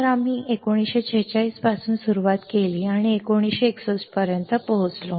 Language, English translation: Marathi, So, we started from 1946, we reached to 1961